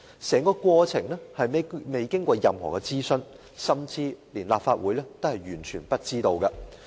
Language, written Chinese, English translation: Cantonese, 整個過程沒有經過任何諮詢，甚至連立法會也毫不知情。, No consultation was conducted and even the Legislative Council was completely in the dark